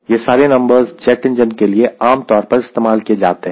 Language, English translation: Hindi, these are all typical numbers, right for jet engine